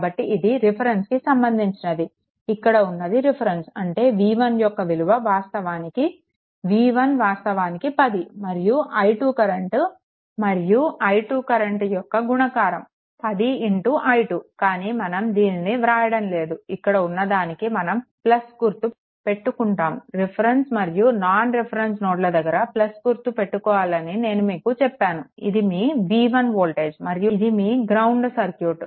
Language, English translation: Telugu, So, with respect to this reference this your reference; that means, v 1 actually v 1 actually 10 into i 2, right, this v 1 actually 10 into, but we will not write this, we will make it that this is your make it plus right ah I told you always the reference and non reference, you should take plus this is your v 1 voltage and this is your ground right circuit is like this